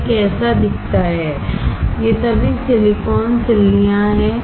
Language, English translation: Hindi, This is how it looks like; these are all silicon ingots